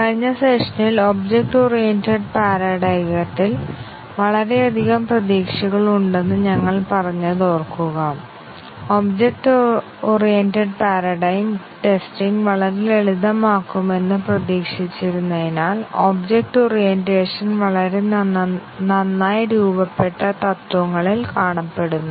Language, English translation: Malayalam, Remember that in the last session, we said that there is lot of expectation in the object oriented paradigm, in the sense that it was expected that the object oriented paradigm will make testing a very simple because the object orientation is found on very well formed principles